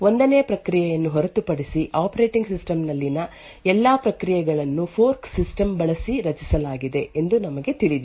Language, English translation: Kannada, What we do know is that all processes in an operating system are created using the fork system, except for the 1st process